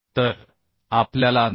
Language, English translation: Marathi, 95 and we need 2960